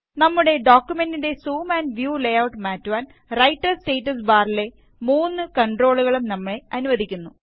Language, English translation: Malayalam, The three controls on the Writer Status Bar also allow to change the zoom and view layout of our document